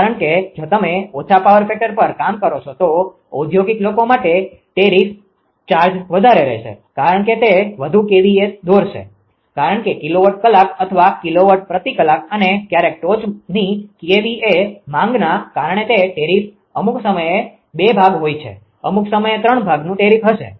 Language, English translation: Gujarati, Because that if you operate at less power factor then tariff charge will be higher for industrial people because it will drop more kVA because that tariff is sometime two parts; sometime three parts tariff right; with some kilowatt hour; kilo per hour and at the same time because of the peak kVA demand